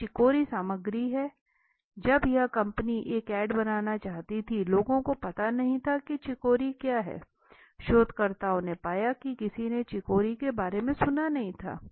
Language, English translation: Hindi, Now chicory is the ingredient right, when this company wanted to make an add, that people had no idea what is chicory right, researchers found that virtually no one had heard about chicory